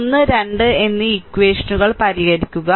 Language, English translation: Malayalam, So, equation 1 and 2, you solve